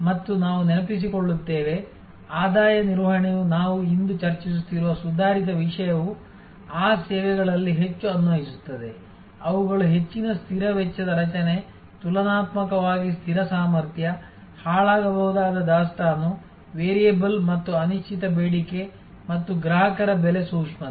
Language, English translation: Kannada, And you remember that, we said that revenue management the advanced topic that we are discussing today is most applicable in those services, which have high fixed cost structure, relatively fixed capacity, perishable inventory, variable and uncertain demand and varying customer price sensitivity